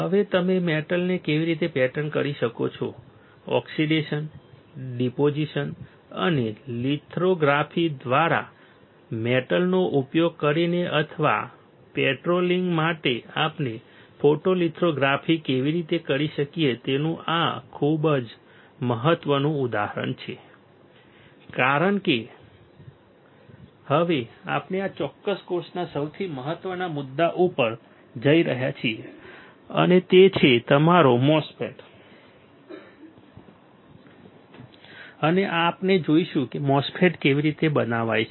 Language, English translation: Gujarati, This is an example of how we can do a photolithography using or for pattering the metal; very important because now we are going to the most important point of this particular course and that is your MOSFET, and we will see how the MOSFET is fabricated all right